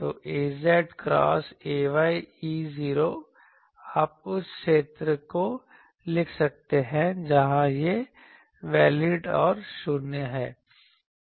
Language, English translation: Hindi, So, a z cross a y E 0, you can write the region where this is valid and 0 elsewhere